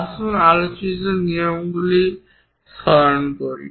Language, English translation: Bengali, Let us recall our discussed rules